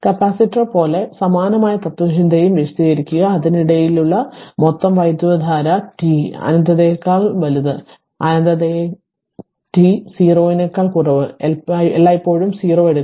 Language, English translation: Malayalam, Like capacitor also we explain something same philosophy the total current for in between minus infinity t greater than minus infinity less than t 0 and i minus infinity is always take 0 right